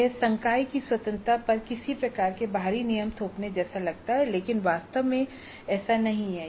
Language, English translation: Hindi, Again, it looks like some kind of imposition of external rules on the freedom of the faculty but it is not really that